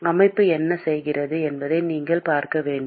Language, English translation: Tamil, You have to see what the system is doing